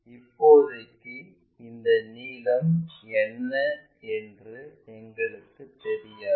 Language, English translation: Tamil, As of now we do not know what is that length